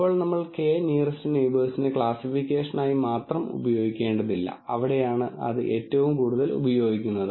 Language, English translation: Malayalam, Now it is not necessary that we use k nearest neighbor only for classification though that is where its used the most